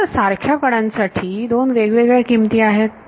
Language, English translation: Marathi, So, now, the same edge, has 2 different values